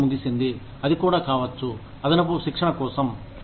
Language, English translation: Telugu, Time off, it could also be, for additional training